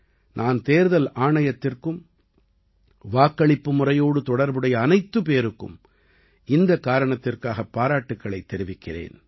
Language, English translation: Tamil, For this, I congratulate the Election Commission and everyone involved in the voting process